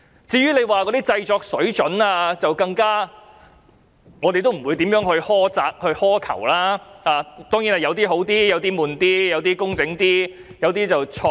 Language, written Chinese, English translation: Cantonese, 至於製作水準方面，我們更不會苛責或苛求，但當然有些短片較好，有些較沉悶，有些較工整，有些則較有創意。, As for the standard of production we should not be harsh or demanding but some APIs are certainly better while some others are dull; some are neatly presented while some others are more creative